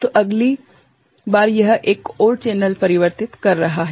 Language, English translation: Hindi, So, next time it is converting another channel